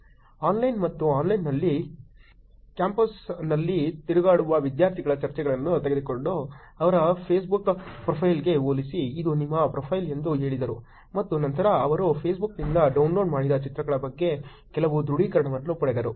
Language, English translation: Kannada, Offline and online, they took pictures of students walking around on campus and compared to their Facebook profile and then, said that this is your profile and then got some confirmation about the pictures that they downloaded from Facebook